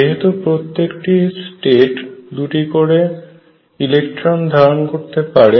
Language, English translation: Bengali, These are all filled; however, each state can take only 2 electrons